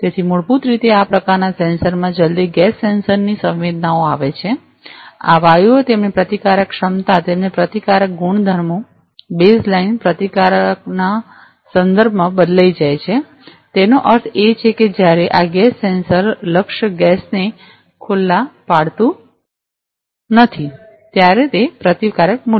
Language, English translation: Gujarati, So, as soon as basically in this kind of sensors as soon as the gas sensors senses, this gases, their resistive capacities their resistive properties change with respect to the baseline resistance; that means, when the resistance value when this gas sensors are not exposed the target gas